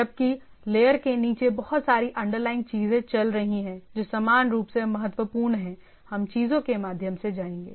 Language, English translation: Hindi, Whereas, where as there are a lot of under underlying things goes on down the layer which are equally important we will go through the things